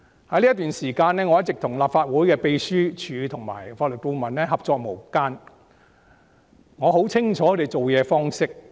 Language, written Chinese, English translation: Cantonese, 在這段時間，我一直與立法會秘書處職員及法律顧問合作無間，很清楚他們的做事方式及思維。, During this time I have been working in harmony with the staff of the Secretariat and the Legal Adviser as a team . I have good knowledge of their ways of handling matters and thinking